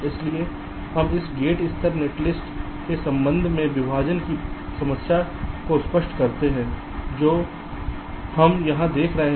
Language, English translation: Hindi, so we illustrate the problem of partitioning with respect to this gate level netlist that we are seeing here